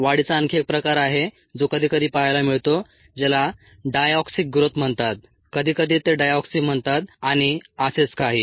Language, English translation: Marathi, there is another type of growth that is sometimes seen, which is called the diauxic growth